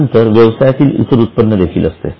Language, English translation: Marathi, Next to that, there is other income